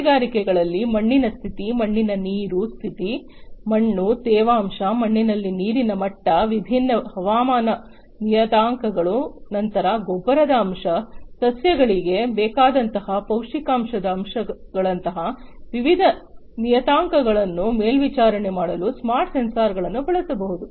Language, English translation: Kannada, In the agricultural industries, you know, smart sensors can be used for monitoring the soil condition, water condition in the soil, soil, moisture, water level in the soil, different weather parameters, then different other parameters such as the fertilizer content, the nutrition content of the soil to be used by the plants and so on